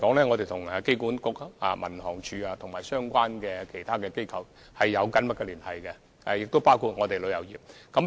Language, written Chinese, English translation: Cantonese, 我們跟機管局、民航處和其他相關機構，包括旅遊業，一直保持緊密的聯繫。, We have been closely connected with AA the Civil Aviation Department and other related organizations including the tourism industry